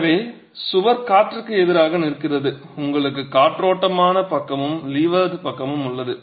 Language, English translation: Tamil, So, the wall is standing against wind, you have the windward side and the leeward side